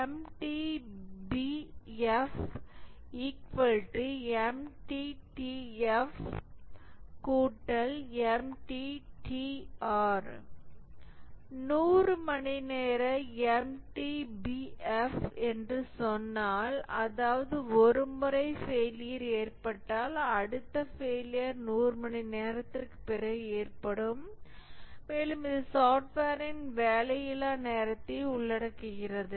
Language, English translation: Tamil, If we say that MTBF of 100 hours, that means that once a failure occurs, the next failure will occur after 100 hours and this includes the downtime of the software